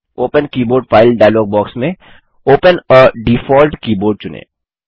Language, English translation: Hindi, The Open Keyboard File dialogue box appears In the Open Keyboard File dialogue box, select Open a default keyboard